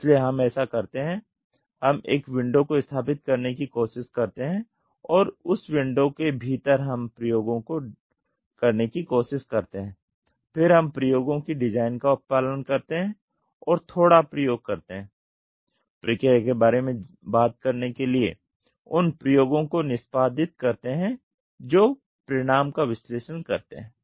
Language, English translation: Hindi, So, what we do is we try to establish a window and we within that window we try to do experiments, then we follow design of experiments plan and do little experiments to talk about the process execute those experiments analyse the result